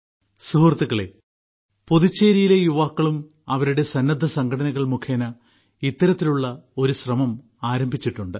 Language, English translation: Malayalam, Friends, one such effort has also been undertaken by the youth of Puducherry through their voluntary organizations